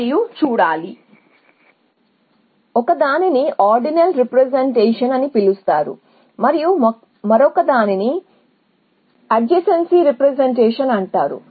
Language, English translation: Telugu, So, there is one representation which is called ordinal representation and another 1 which is called adjacency representation